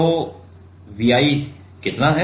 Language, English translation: Hindi, Then how much is the V i